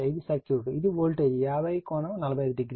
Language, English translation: Telugu, And this is the circuit, this is voltage 50 angle 45 degree